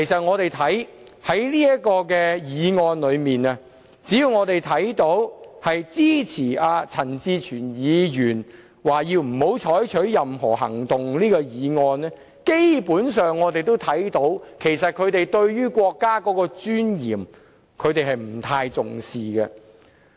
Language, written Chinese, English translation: Cantonese, 我們從這項議案可以看到，只要是支持陳志全議員提出的這項不要採取任何行動的議案的議員，基本上他們對於國家的尊嚴不太重視。, From this motion we can see that those Members as long as they support the motion proposed by Mr CHAN Chi - chuen requiring that no action shall be taken basically do not attach much importance to the dignity of the country